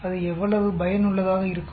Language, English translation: Tamil, And how useful it is